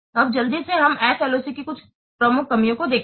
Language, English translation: Hindi, So, these are some of the shortcomings of SLOC